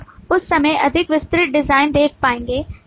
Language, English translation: Hindi, So you will be able to see more detailed design at the point of time